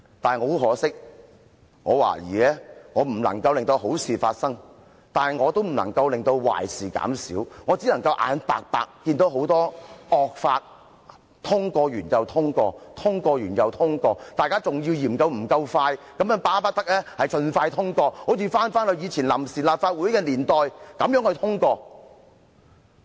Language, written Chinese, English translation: Cantonese, 然而，很可惜，我懷疑我既不能令好事發生，也不能令壞事減少，我只能眼白白地看到很多惡法逐一通過，通過一項後又通過另一項，大家更嫌通過得不夠快，巴不得盡快通過，好像昔日臨時立法會的年代般通過。, But regrettably I suspect that neither can I make good things happen nor reduce bad things . I can only see the passage of many draconian laws one by one feeling powerless . They got through this Council one after another and Members even reacted as if they were passed not quickly enough and should be passed the soonest the possible just as the way legislation was passed back in the years of the Provisional Legislative Council